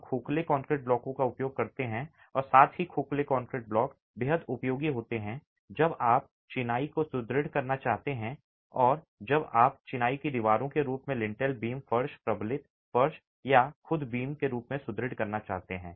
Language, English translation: Hindi, We use hollow concrete blocks as well and hollow concrete blocks are extremely useful when you want to reinforce masonry or when you want to reinforce masonry either in the form of walls or in the form of lintel beams, floors, reinforced floors or beams themselves